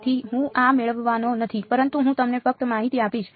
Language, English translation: Gujarati, So, I am not going to derive this, but I will just give you information